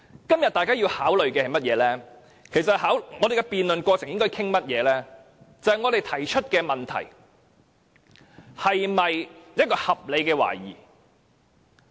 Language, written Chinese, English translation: Cantonese, 今天大家要考慮的是甚麼，我們在辯論過程中應討論些甚麼？就是我們提出的問題是否合理的懷疑。, The point of discussion in the current debate that we should take into consideration today is Whether the questions raised are reasonable doubts?